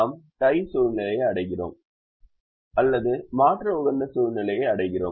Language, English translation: Tamil, we reach the tie situation or we reach the alternate optima situation